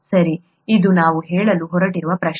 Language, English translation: Kannada, Okay, that’s the question that we are going to ask